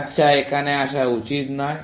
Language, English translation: Bengali, Well, it should not come here